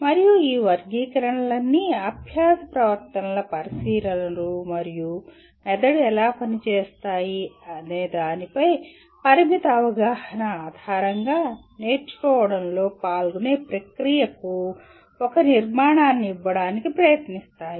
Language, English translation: Telugu, And all these taxonomies attempts to give a structure to the process involved in learning based on observations of learning behaviors and the limited understanding of how the brain functions